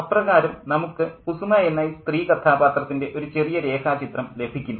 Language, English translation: Malayalam, And so we do get a brief sketch of this female character called Kusuma